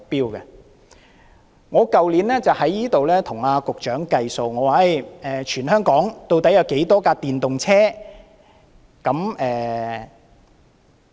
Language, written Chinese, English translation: Cantonese, 去年，我在立法會與局長"計數"，我問他全香港究竟有多少輛電動車。, Last year I did a calculation with the Secretary in the Legislative Council by asking him how many electric vehicles there were across the territory